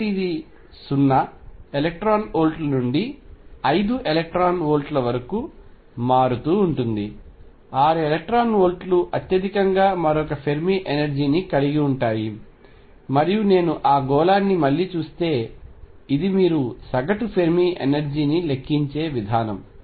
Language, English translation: Telugu, And so, it varies from 0 electron volts to 5 electron volts 6 electron volts the highest another Fermi energy and the way you calculate the average Fermi energy is if I again look at that sphere